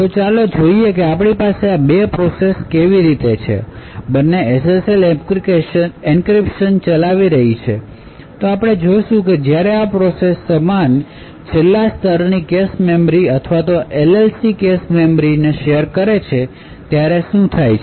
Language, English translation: Gujarati, So let us see how we have these 2 processes; both executing SSL encryption, now we will look at what happens when these 2 processes share the same last level cache memory or the LLC cache memory